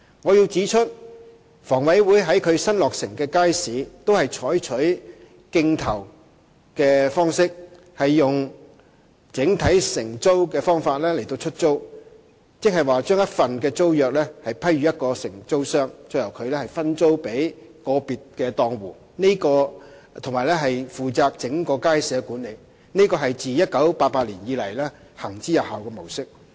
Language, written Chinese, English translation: Cantonese, 我要指出，房委會於其新落成的街市均採取競投的方式，用整體承租的方法出租，即把一份租約批予一個承租商，由它再分租予個別檔戶，並且負責整個街市的管理，這是自1988年以來行之有效的模式。, I must point out that bidding will be adopted by HA in its newly completed markets under a single - operator letting arrangement . In other words a single tenancy is awarded to an operator who will let parts of the leased area to individual stall operators and the operator will be responsible for the management of the whole market . This model has been proven since 1988